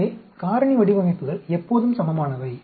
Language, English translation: Tamil, It is so balanced so the factorial designs are always balanced